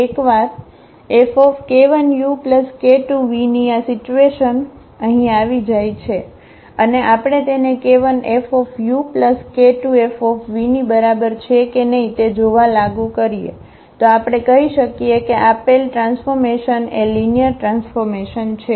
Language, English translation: Gujarati, Once this condition here that k u plus k 2 v on this F and we apply if it is equal to k 1 F u and k 2 F v then we can call that the given transformation is a linear transformation